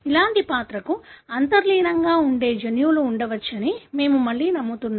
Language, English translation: Telugu, That is again we believe that there could be genes that are underlying such character